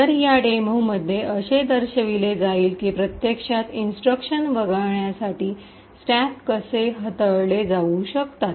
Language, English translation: Marathi, So, in this demo will be showing how a stack can be manipulated to actually skip an instruction